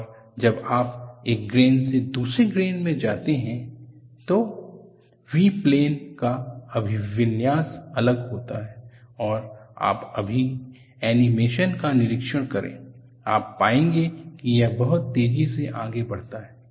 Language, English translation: Hindi, And when you move from one grain to another grain, the orientation of the V plane is different, and you just observe the animation now, you will find that, it goes very fast